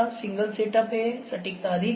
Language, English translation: Hindi, The single set up is here, accuracy is high